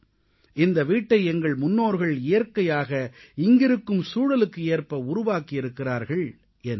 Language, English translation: Tamil, These houses were built by our ancestors in sync with nature and surroundings of this place"